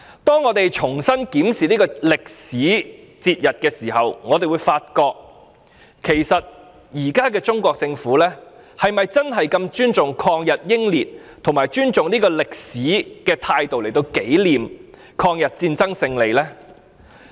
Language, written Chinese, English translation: Cantonese, 當我們重新檢視這個節日的歷史時，我們會發覺現在的中國政府並沒有以尊重抗日英烈及尊重歷史的態度來紀念抗日戰爭勝利。, When we re - examine the history of this commemorative day we will find that the current Chinese Government has not commemorated the victory of the Chinese Peoples War of Resistance against Japanese Aggression or expressed respect to the anti - Japanese heroes or respected history